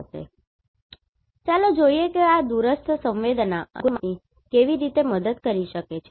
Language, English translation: Gujarati, Now, let us see how this remote sensing GIS can help